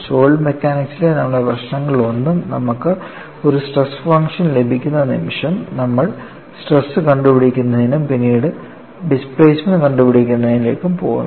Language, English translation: Malayalam, In one of our problems in solid mechanics, the moment you get a stress function, you simply go to evaluating the stresses and then to displacements